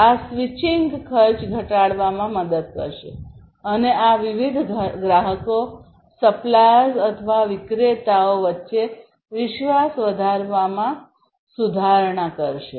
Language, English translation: Gujarati, This basically will help in reducing the switching cost, and also improving building the trust between these different customers and the suppliers or the vendors